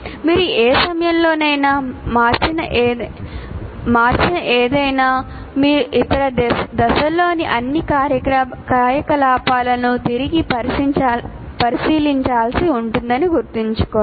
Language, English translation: Telugu, So remember that anything that you change at any point, you will have to take a re look at all the activities in other phases